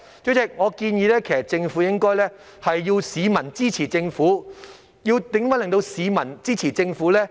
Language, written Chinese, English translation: Cantonese, 主席，我建議政府應該要市民支持政府。如何令市民支持政府呢？, President I suggest that the Government should engage the public to support the Government